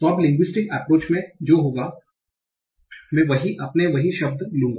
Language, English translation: Hindi, So now in the linguistic approach what will happen, I will take the same root word